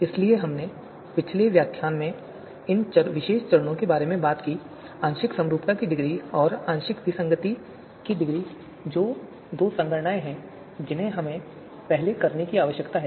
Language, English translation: Hindi, So we talked about these particular steps in the previous lecture, the partial concordance degree and partial discordance degree that is the two computations that we need to perform first